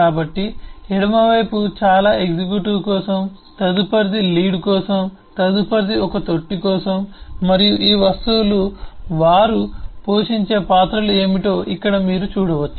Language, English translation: Telugu, so the left most one is for a executive, next is for a lead, next is for a manger, and here you can see what are the roles that they, these objects, will play